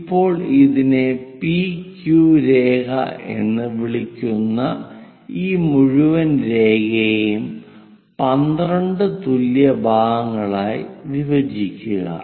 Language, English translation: Malayalam, Now, divide this entire line which we call PQ line into 12 equal parts